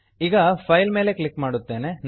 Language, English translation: Kannada, Now click on File